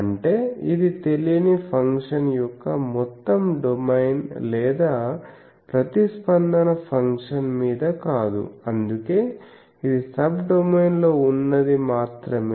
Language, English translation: Telugu, That means, it is not over the whole domain of the unknown function or the response function that is why it is Subdomain